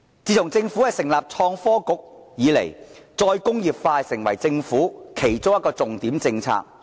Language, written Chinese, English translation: Cantonese, 自從政府成立創新及科技局以來，再工業化成為政府其中一項重點政策。, Since the Government has established the Innovation and Technology Bureau re - industrialization has become one of the Governments major policies